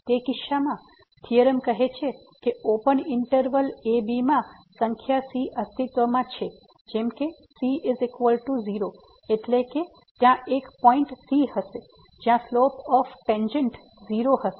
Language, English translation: Gujarati, In that case, the theorem says that there exist a number in open interval ( such that is equal to , meaning that there will be a point where the slope of the tangent will be